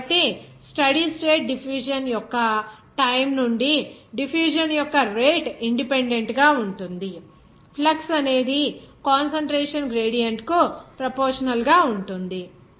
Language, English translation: Telugu, So, rate of diffusion independent of the time of steady state diffusion, flux proportional to the concentration gradient